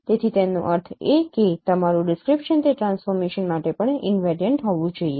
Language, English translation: Gujarati, So that means your description should be also invariant to those transformation